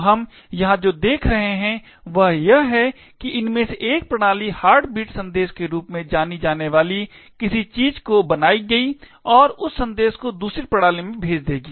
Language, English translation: Hindi, So, what we see over here is that one of these systems would create something known as the Heartbeat message and send that message to the other system